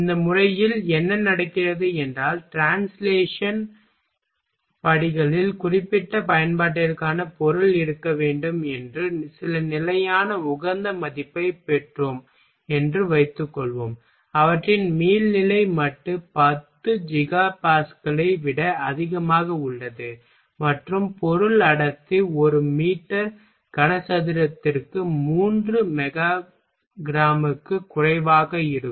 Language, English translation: Tamil, In this method what happens suppose that in translation steps we got some constant optimized value that material for particular application should be such that, their elastic modulus is higher than 10 Giga Pascal and material density will be lower than 3 mega grams per meter cube